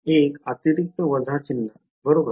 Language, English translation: Marathi, One extra minus sign right